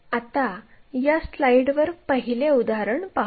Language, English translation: Marathi, Let us look at an example 1 on this slide